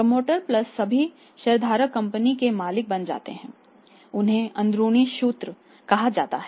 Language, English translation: Hindi, Promoter plus all the share holders they will become the owners of the company they are called as insiders